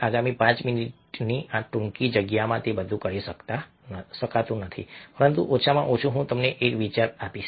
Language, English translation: Gujarati, cannot do all of it in this lots space of the next five minutes, but at least i will give you an idea